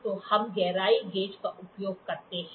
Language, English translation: Hindi, So, we use the depth gauge